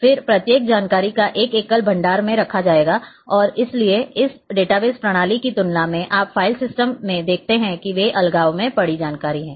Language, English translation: Hindi, And then every information is kept in a single repository and therefore, then compared to this database system you see in the file systems they are the information is lying in isolation